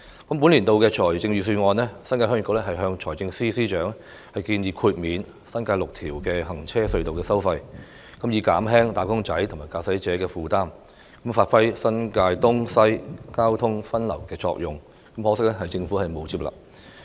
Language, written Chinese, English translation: Cantonese, 就本年的財政預算案，新界鄉議局曾向財政司司長建議免收新界6條行車隧道的費用，以發揮新界東及新界西交通分流的作用，從而減輕"打工仔"和駕駛者的負擔，可惜政府沒有接納此建議。, Concerning this years Budget a suggestion that the New Territories Heung Yee Kuk made to the Financial Secretary is to waive the tolls of six road tunnels in the New Territories so as to achieve the effect of traffic diversion between East New Territories and West New Territories and in turn ease the burden on wage earners and motorists . Sadly this proposal has not been accepted by the Government